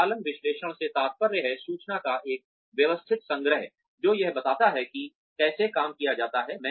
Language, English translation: Hindi, Operations analysis refers to, a systematic collection of information, that describes, how work is done